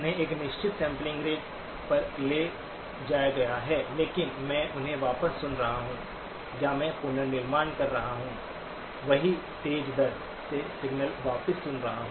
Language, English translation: Hindi, They have been taken at a certain sampling rate, but I am playing them back or I am reconstructing, the same is playing back the signal at a faster rate